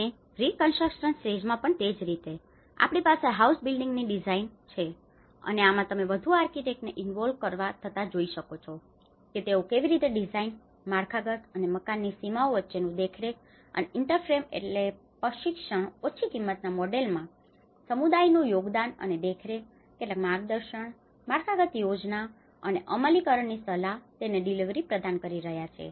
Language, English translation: Gujarati, And similarly in the reconstruction stage, we have the housing building design and this is where you can see the more of architects involved in it, how they design, the supervise and interface between infrastructure and building boundaries provide training and the delivery of it and the contribution of the communities in the low cost models and advise on supervision, some guidance, providing some guidance, infrastructure planning and implementation